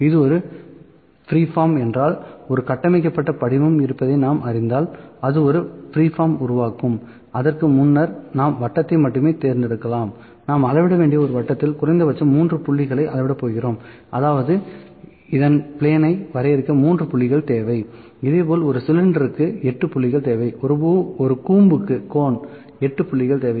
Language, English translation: Tamil, If it is a freeform it will create a freeform if we know that the there is a structured form we can select it before and only that this is a circle that we are going to measure of a circle 3 points are minimum to are required to measure for a plane, 3 points are required to define the plane, for a cylinder 8 points are required, for a cone 8 points are required